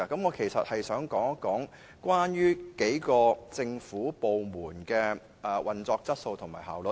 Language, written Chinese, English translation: Cantonese, 我想談談數個政府部門的工作質素及效率。, I wish to talk about the work quality and efficiency of a few government departments